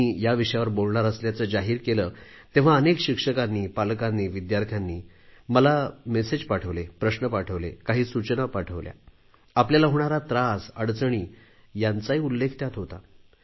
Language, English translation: Marathi, When I'd declared that I would talk on this topic, many teachers, guardians and students sent me their messages, questions, suggestions and also expressed their anguish and narrated their problems